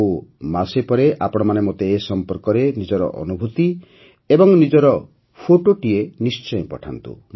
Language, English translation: Odia, And when one month is over, please share your experiences and your photos with me